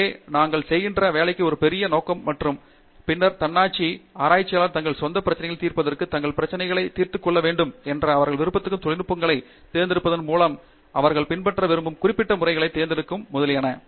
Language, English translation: Tamil, So, we see a larger purpose for the work that we are doing and then Autonomy, researchers want to solve their problems and the problems for the betterment of people around them in their own way, by choosing the techniques that they wish to use, by choosing the specific methodologies that they wish to adopt, etcetera